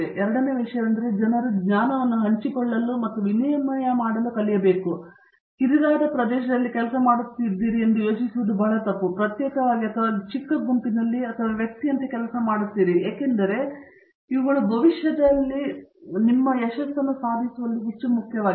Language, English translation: Kannada, The second thing is people need to learn to share and exchange knowledge, it would be very wrong to think that you are working in a narrow area, you would rather individually or you rather work in small groups or even as individual because to me these are much more important in achieving success in a future carrier